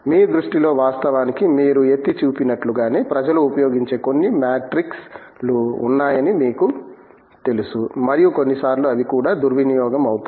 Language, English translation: Telugu, In your view, in fact, as exactly as you pointed out you know there are certain matrix that people use and sometimes those are even misused